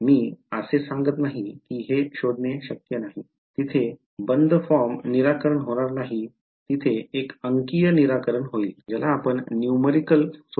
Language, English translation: Marathi, I am not saying its not possible to find it there will not be a closed form solution there will be a numerical solution ok